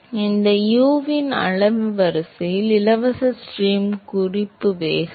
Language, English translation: Tamil, Now, the order of magnitude of u is the free stream reference velocity